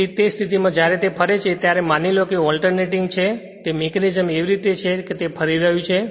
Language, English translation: Gujarati, So, in that case when it is revolving suppose the way we saw alternating thing the mechanism is such that when it is revolving right